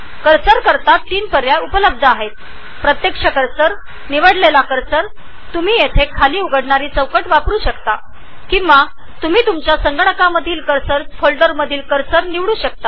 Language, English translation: Marathi, There are 3 choices of cursors here – the actual cursor, the custom cursor or you can load the cursor from the cursors folder present on your computer